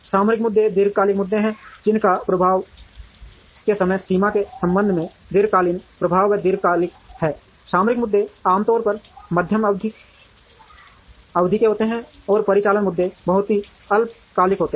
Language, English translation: Hindi, Strategic issue are long issues that have long term impact or long term with respect to the time frame of the impact, tactical issues are usually medium term, and operational issues are very short term